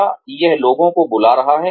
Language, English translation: Hindi, Is it calling up people